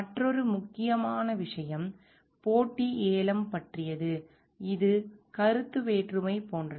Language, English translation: Tamil, Another important point is about competitive bidding, which talks about like the conflict of interest